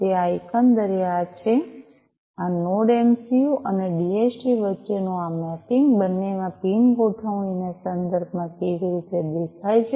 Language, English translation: Gujarati, So, this is this overall this is how this mapping between this Node MCU and DHT looks like in terms of the pin configurations in both